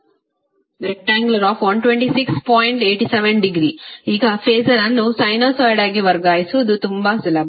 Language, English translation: Kannada, Now it is very easier to transfer the phaser into a sinusoid